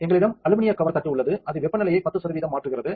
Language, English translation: Tamil, So, we have an aluminium cover plate that is changing the temperature by 10 percent